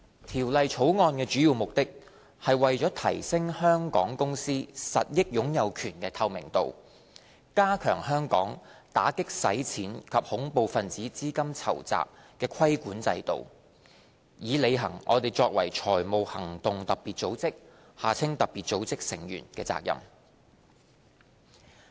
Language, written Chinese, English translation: Cantonese, 《條例草案》的主要目的，是為了提升香港公司實益擁有權的透明度，加強香港打擊洗錢及恐怖分子資金籌集的規管制度，以履行我們作為財務行動特別組織成員的責任。, The main purpose of the Bill is to enhance the transparency of beneficial ownership of Hong Kong companies and strengthen the anti - money laundering and counter - terrorist financing AMLCTF regulatory regime in Hong Kong so as to fulfil our obligations under the Financial Action Task Force FATF